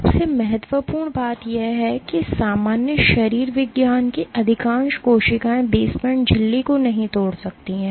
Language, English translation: Hindi, Most importantly most of the cells in normal physiology cannot breach the basement membrane